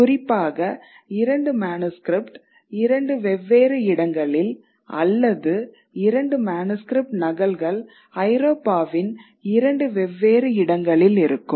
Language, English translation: Tamil, Let's say two manuscripts in two different locations and two copies of the manuscript in two different locations in Europe